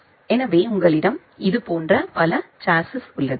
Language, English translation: Tamil, So, you have this multiple chassis